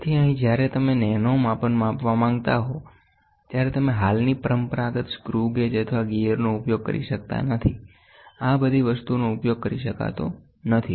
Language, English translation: Gujarati, So, here when you want to measure nano features, you cannot use the existing conventional screw gauge or gear all these things cannot be used